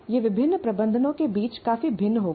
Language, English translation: Hindi, That will vary considerably among different management